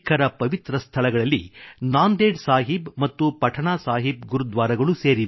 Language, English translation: Kannada, Similarly, the holy sites of Sikhs include 'Nanded Sahib' and 'Patna Sahib' Gurdwaras